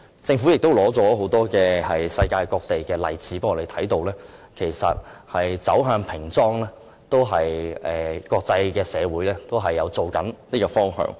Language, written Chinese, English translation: Cantonese, 政府亦提交很多世界各地的例子，讓我們看到其實平裝是國際社會的趨向。, Moreover the Government has presented many examples from around the world to show that plain packaging is the trend of the international community